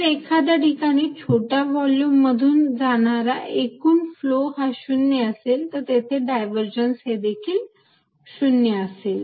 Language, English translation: Marathi, If net flow in flow in a through a small volume is 0 and at that point divergence is going to be 0